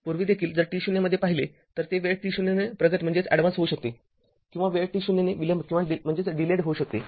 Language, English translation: Marathi, Previously also if so in t 0 right it may be advanced by time t 0 or delayed by time t 0